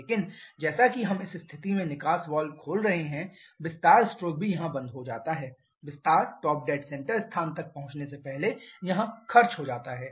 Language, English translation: Hindi, But as we are opening the exhaust valve this position so the expansion stroke also stops here expansion is spend only up to this point instead of till the top dead center location